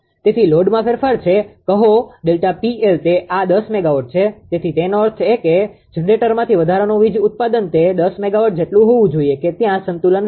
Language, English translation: Gujarati, So, there is a change in load say delta P L that is this 1 is ten megawatt so; that means, additional power generation from generator it has to be ten megawatt such that there will be balance